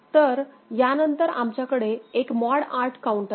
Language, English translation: Marathi, So, we are then having a mod 8 counter with us